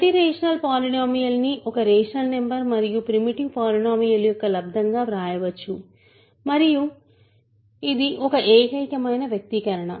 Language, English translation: Telugu, Every rational polynomial can be written as a product of a rational number and a primitive polynomial and it is a unique expression